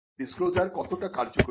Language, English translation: Bengali, How important is the disclosure